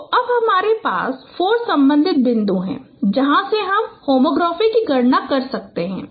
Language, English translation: Hindi, So now you have four corresponding points from there you can compute home trophy